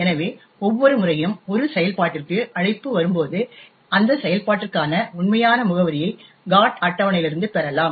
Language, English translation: Tamil, So, for example every time there is call to a function, we could get the actual address for that particular function from the GOT table